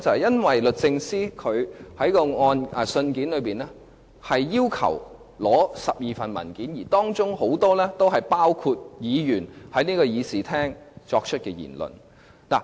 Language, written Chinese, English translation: Cantonese, 因為律政司在信件中要求索取12份文件，而當中很多都是議員在議事廳於立法會會議中作出的言論。, It is because DoJ asks to solicit 12 documents in its letter and most of them are the comments made by Members in this Chamber during the Legislative Council meetings